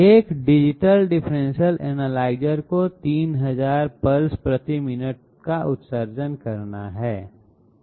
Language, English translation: Hindi, A Digital differential analyzer is to emit 3000 pulses per minute